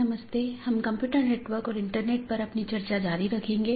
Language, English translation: Hindi, So, we will be continue our discussion on Computer Networks and Internet